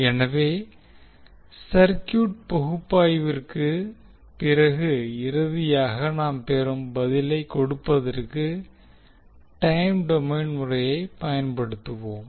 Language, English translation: Tamil, So, rather we will use the time domain as a method to give the answer which we get finally after the circuit analysis